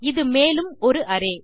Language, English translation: Tamil, That will be the array